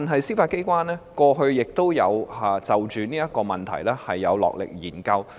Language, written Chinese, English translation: Cantonese, 司法機構過去亦曾就此問題落力研究。, The Judiciary has also made efforts in studying this issue